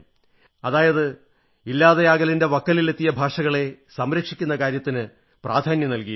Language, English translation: Malayalam, That means, efforts are being made to conserve those languages which are on the verge of extinction